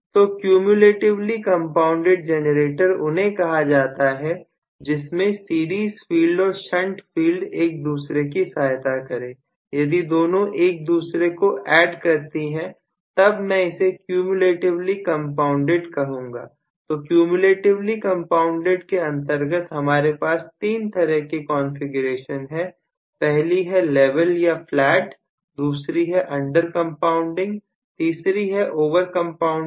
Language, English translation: Hindi, So, cumulatively compounded generator refers to where the series field and the shunt field aid each other if, both of them aid each other I am going call that as cumulatively compounded, so under cumulatively compounded I have three configurations one is level or flat, the second one is under compounding, the third one is over compounding